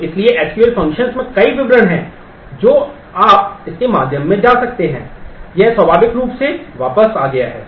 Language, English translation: Hindi, So, so there are SQL functions have several details which you can go through it has returned naturally